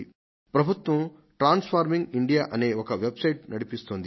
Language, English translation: Telugu, You all must be aware that the government has started a website,transforming india